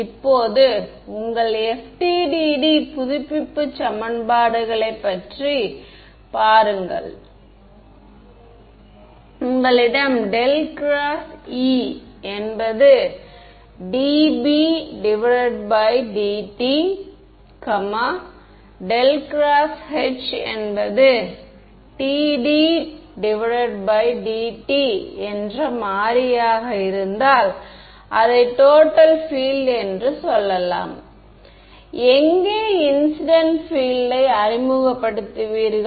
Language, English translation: Tamil, Now look at think of your FDTD update equations, you have curl of E is dB/dt, curl of h is dD/dt and if you have variable is let us say total field, where will you introduce the incident field